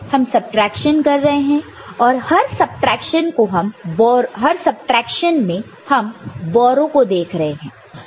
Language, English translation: Hindi, We are doing the subtraction and in each of the subtraction, we are looking at the borrow